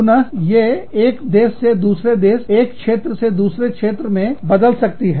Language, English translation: Hindi, Again, these would vary from, country to country, from, region to region